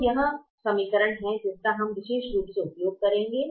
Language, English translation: Hindi, so this is the equation that we will be using particularly this equation which we'll be using now